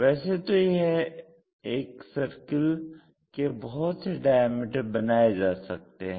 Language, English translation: Hindi, So, once we have a circle, we can construct different diameters